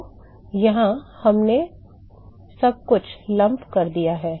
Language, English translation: Hindi, So, here we have lumped everything